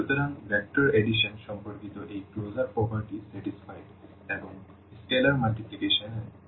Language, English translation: Bengali, So, this closure property with respect to vector addition is satisfied and also for the scalar multiplication